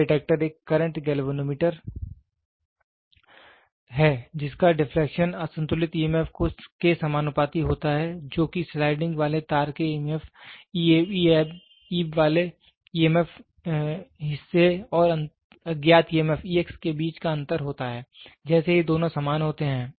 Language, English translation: Hindi, The null detector is a current galvanometer whose deflection is proportional to unbalanced emf that is that difference between the emf absolute across portion ab of sliding wire and the unknown emf E x as soon as both are equal